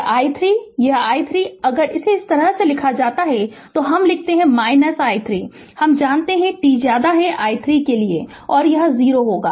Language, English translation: Hindi, So, this voltage this voltage right if it is given like this we write u t minus t 0 we know for t less than t 0 it will be it will be 0